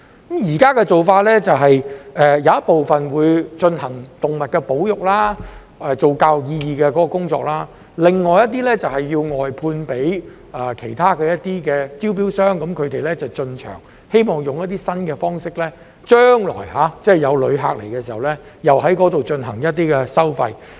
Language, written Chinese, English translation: Cantonese, 現時的做法是把一部分進行動物保育，做有教育意義的工作，另一些就外判給其他承辦商，由他們進場，希望利用一些新方式，待將來有旅客來港時，在那裏有一些收費。, Under the present approach part of the area will be used for animal conservation and educational work while other parts will be outsourced to other contractors . It is hope that the entry of these contractors can bring in new thinking so that visitors come to Hong Kong in the future will have to pay some fees